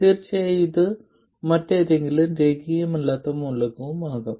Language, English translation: Malayalam, And of course this could be any other nonlinear element as well